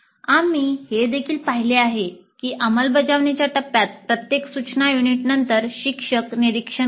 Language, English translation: Marathi, Then we also noted during the implement phase that after every instructional unit the instructor makes observations